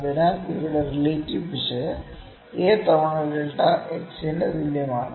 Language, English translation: Malayalam, So, then the absolute error here is equal to a times delta x, is it, ok